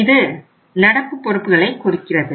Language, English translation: Tamil, It means this is the current liability